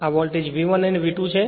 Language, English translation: Gujarati, This voltage V 1, this voltage is V 2